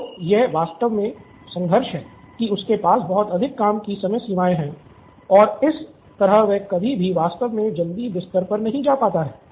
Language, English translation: Hindi, So, this is actually the conflict that he has too many deadlines and that way he would never be able to actually go to bed early